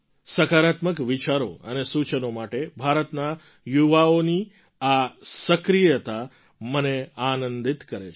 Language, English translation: Gujarati, This activism for positive thoughts and suggestions in the youth delights me